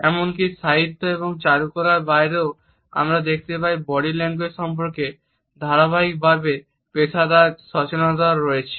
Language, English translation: Bengali, Even outside the domains of literature and fine arts we find that there has been a continuous professional awareness of body language